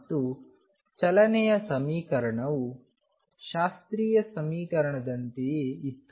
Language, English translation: Kannada, And the equation of motion was same as classical equation